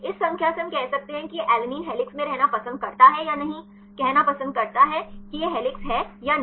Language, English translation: Hindi, From this number we can say whether this alanine prefers to be in helix or not, say prefers to be helix or not